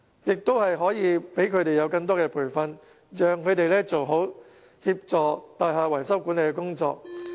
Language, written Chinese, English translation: Cantonese, 再者，希望當局能向他們提供更多培訓，讓他們做好協助大廈維修管理的工作。, I also hope the authorities can enhance the training given to them so that they are capable to offer effective assistance on building repair and management